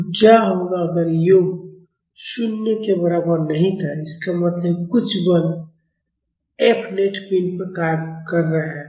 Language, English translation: Hindi, So, what if the sum was not equal to 0, that means, some force F net is acting on the body